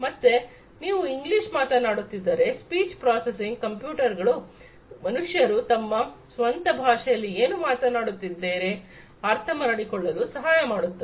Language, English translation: Kannada, So, if you are speaking in English the speech processing would help the computers to understand what the humans are talking about in their own language right